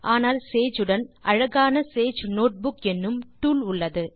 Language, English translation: Tamil, But Sage comes bundled with a much more elegant tool called Sage Notebook